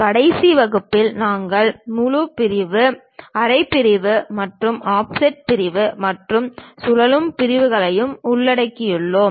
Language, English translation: Tamil, In the last class, we have covered full section, half section and offset section and also revolved sections